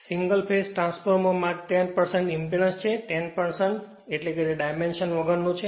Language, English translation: Gujarati, Single phase transformer has 10 percent impedance, 10 percent means it is dimensionless; that means 0